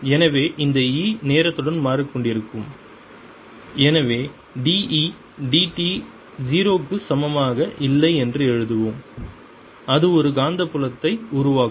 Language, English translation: Tamil, so this e which is changing with time so let's write that d, e, d, t is not equal to zero will give rise to a magnetic field